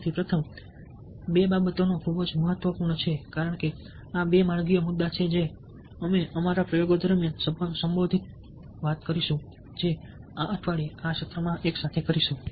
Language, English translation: Gujarati, so the two first two things are very, very significant because these are the two ways issues will be addressing during our experiments that will be doing together in this lessons